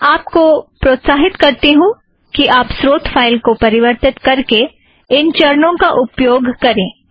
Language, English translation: Hindi, I encourage you to go through these phases by modifying the source file